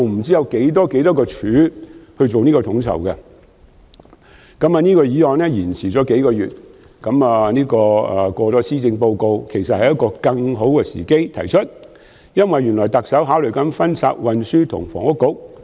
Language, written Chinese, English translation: Cantonese, 雖然這項議案延擱了數個月，要在施政報告發表後才能討論，但現在其實是更好的時機，因為特首亦正考慮分拆運輸及房屋局。, This motion has stood over for several months and it can only be discussed after the announcement of the Policy Address . But I think that now is actually a better moment because the Chief Executive is likewise considering the idea of splitting the Transport and Housing Bureau